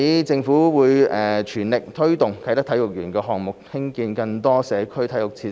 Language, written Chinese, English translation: Cantonese, 政府會全力推動啟德體育園項目，興建更多社區體育設施。, The Government is forging ahead with the Kai Tak Sports Park Project and will develop more community sports facilities